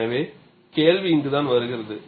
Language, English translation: Tamil, So, this is where the question comes